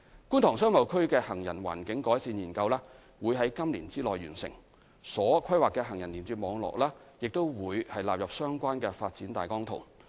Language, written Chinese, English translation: Cantonese, 觀塘商貿區的行人環境改善研究將於今年內完成，所規劃的行人連接網絡亦將納入相關的發展大綱圖。, The pedestrian environment improvement study for KTBA will be completed within this year and the planned pedestrian link network will also be incorporated into the relevant ODP